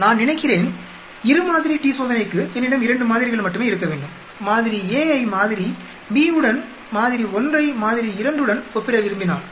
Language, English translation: Tamil, Suppose I for a two sample t test I should have only 2 samples, if I want to compare sample A with sample B, sample 1 with sample 2